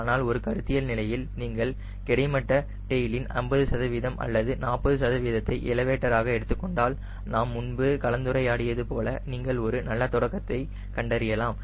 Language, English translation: Tamil, but at a conceptual stage, if you take fifty percent or forty percent of the horizontal tail as your elevator, as you discus earlier, you will find fairly you will get ah, good beginning right